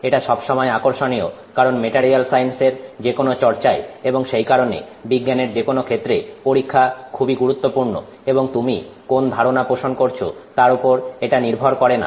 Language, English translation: Bengali, This is always interesting because in any of these, you know, studies in material science and for that matter in any other arena of science, experiments are very critical and it doesn't matter what theory you come up with